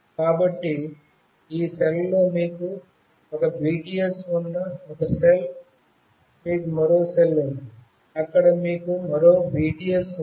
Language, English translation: Telugu, So, this is one cell you have one BTS in this cell, you have another cell where you have one more BTS